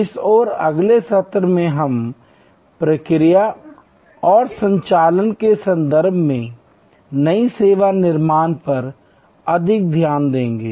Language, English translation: Hindi, In this and next session, we will look at new service creation more in terms of process and operations